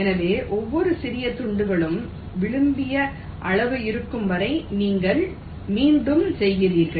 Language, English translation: Tamil, so you go on repeating till each of the small pieces are of the desired size